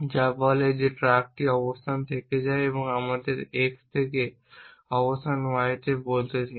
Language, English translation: Bengali, And you define move truck action which says the truck goes from location let us say x to location y